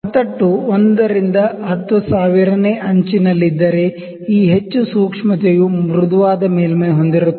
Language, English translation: Kannada, If the ground is 1 by 10000th of edge this much sensitivity this much smooth surface is there